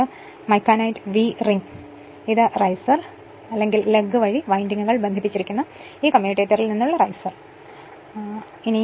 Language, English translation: Malayalam, This is micanite your vee ring, and this is riser from this commutator where the windings are connected through this riser or lug right